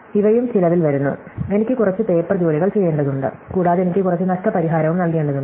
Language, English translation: Malayalam, But, these also comes with a cost, it goes I have to do some paper work and also I have to give some compensation and so on